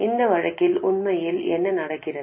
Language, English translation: Tamil, And what really happens in that case